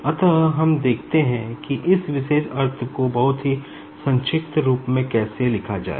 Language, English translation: Hindi, So, let us see, how to write down this particular thing in a very compact form